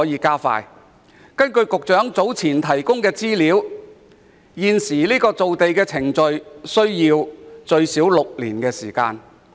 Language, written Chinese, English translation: Cantonese, 根據局長早前提供的資料，現時造地程序需時最少6年。, According to the information provided by the Secretary earlier the current land formation process takes at least six years